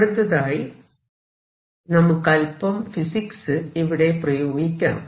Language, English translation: Malayalam, Now, we are going to use some physics